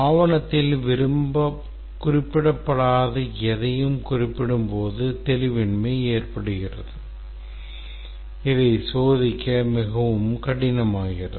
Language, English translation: Tamil, Ambiguity if there is anything mentioned in the document which cannot be quantified becomes very difficult to test